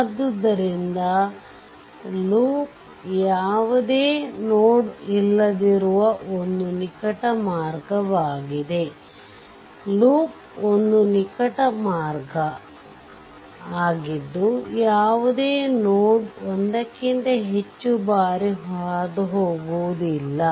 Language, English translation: Kannada, So, a loop is a close path with no node I have underlined this, a loop is a close path with no node passed more than once